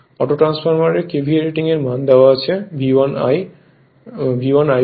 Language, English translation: Bengali, KVA rating of the auto transformer is given by V 1 I 1